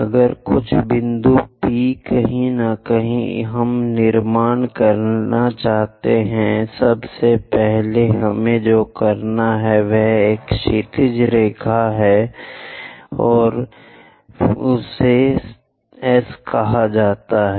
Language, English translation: Hindi, If some point P, somewhere here we would like to construct; first of all what we have to do is draw a horizontal line, this is the horizontal line, this is let us call S dash